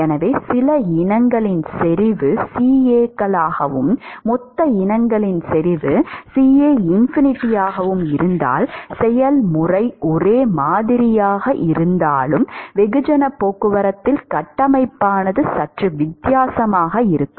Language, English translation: Tamil, So, if the concentration of some species is CAs and if the bulk species concentration is CAinfinity, the framework is slightly different in mass transport although the process is exactly the same